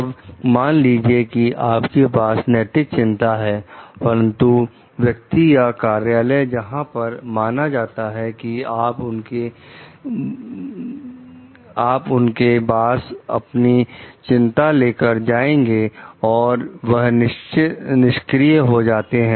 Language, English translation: Hindi, Then, suppose you have an ethical concern, but the person or office to whom you are supposed to take your concern to is unresponsive